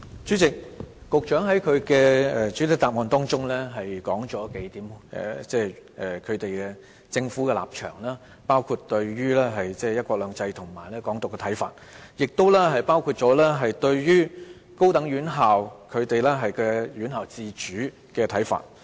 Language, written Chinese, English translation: Cantonese, 主席，局長在主體答覆中提出數點政府的立場，包括對"一國兩制"和"港獨"的看法，亦包括對高等院校，院校自主的看法。, President in the main reply the Secretary pointed out some of the Governments stances including its views on one country two systems and Hong Kong independence as well as its views on post - secondary institutions and their autonomy